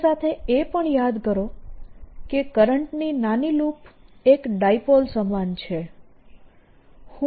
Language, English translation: Gujarati, also recall that a small loop of current is equivalent to a dipole